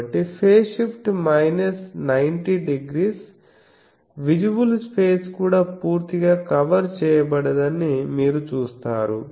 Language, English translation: Telugu, So, phase shift is minus 90 degree you see that visible space is not even fully covered